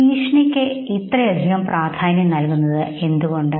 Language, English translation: Malayalam, Now why is threat given so much of importance